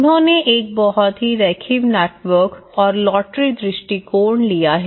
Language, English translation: Hindi, And a very linear networks and here they have taken a lottery approaches